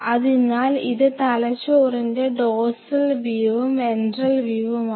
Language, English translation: Malayalam, So, if this part of my hands is dorsal view and these are the ventral views